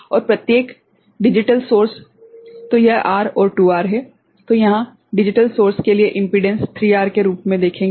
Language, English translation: Hindi, And each digital source so, this is R and the 2R; so, it will see impedance as 3R so, for the digital source